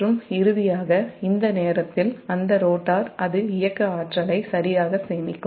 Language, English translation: Tamil, and finally, and at this time that rotor, it will store kinetic energy, right